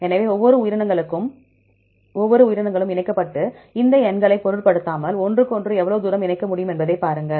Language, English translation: Tamil, So, each species connected and then see how far they can connect with each other regardless of this any of these numbers